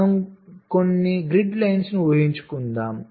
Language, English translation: Telugu, or you can define this grid lines